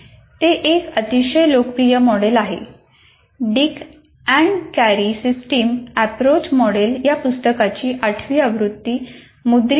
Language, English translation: Marathi, And the eighth edition of that book, like Dick and Carey Systems Approach model, is in print